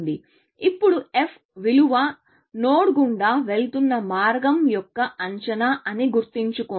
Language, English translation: Telugu, Now, remember the f value is an estimate of the cost of the path, going through the node